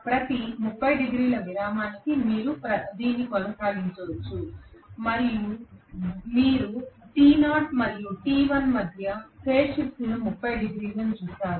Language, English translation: Telugu, You can keep on doing this for every 30 degree interval you will see that between t knot and t1 the phase shift is 30 degrees